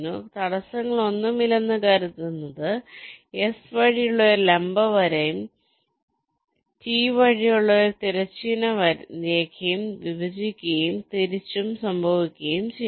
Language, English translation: Malayalam, so, assuming no obstacles, a vertical line through s and a horizontal line through t will intersect, and vice versa